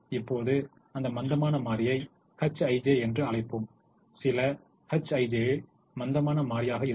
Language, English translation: Tamil, now let that slack variable be called h i j, let some h i j be the slack variable